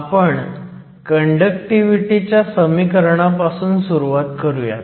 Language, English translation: Marathi, So, we start with the equation for conductivity